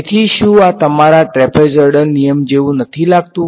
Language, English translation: Gujarati, So, does not this look exactly like your trapezoidal rule right